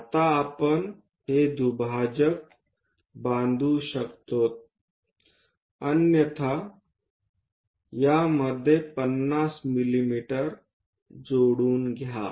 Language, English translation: Marathi, Now, bisector we can construct it otherwise 50 mm join these